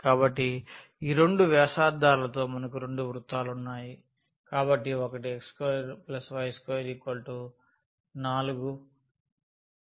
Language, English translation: Telugu, So, we have 2 circles, with these 2 radius; so one is x square plus y square is equal to 4